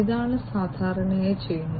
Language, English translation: Malayalam, This is typically what is done